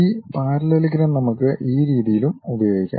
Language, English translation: Malayalam, And, this parallelogram we can use in that way also